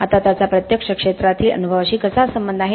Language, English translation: Marathi, Now how does it actually relate to the experience in the field